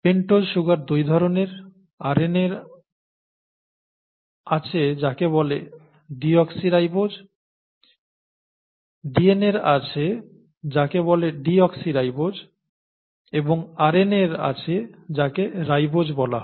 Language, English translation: Bengali, The pentose sugars are of two kinds, DNA has what is called a deoxyribose and RNA has what is called a ribose, okay